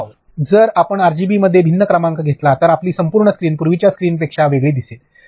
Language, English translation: Marathi, So, if you put different number within RGB your entire screen is going to look very different than what the earlier screens were